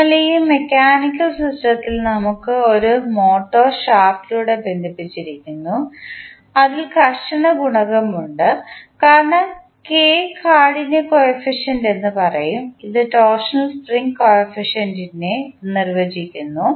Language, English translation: Malayalam, So, in this mechanical system we have one motor connected to a load through shaft which has the friction coefficient as we will rather say stiffness coefficient as K which defines the torsional spring coefficient